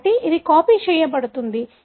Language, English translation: Telugu, So, it will copy